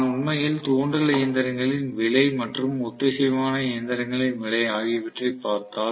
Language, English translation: Tamil, So, if I actually look at the induction machines cost and synchronous machines cost